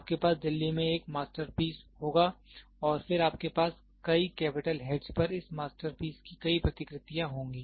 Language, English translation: Hindi, You will have a master piece at Delhi and then you will have several replicas of this master piece at several capital heads